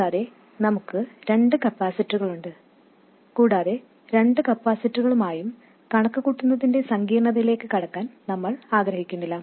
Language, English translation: Malayalam, And also we have two capacitors and we don't want to get into the complication of calculating with both capacitors in place